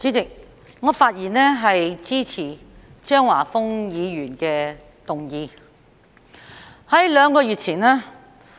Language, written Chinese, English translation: Cantonese, 代理主席，我發言支持張華峰議員的議案。, Deputy President I speak in support of Mr Christopher CHEUNGs motion